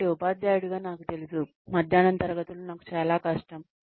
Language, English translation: Telugu, So, as a teacher, I know that, afternoon classes are very difficult for me